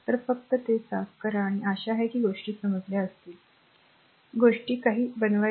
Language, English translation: Marathi, So, just clean it right hope things you have understood that how to make this thing right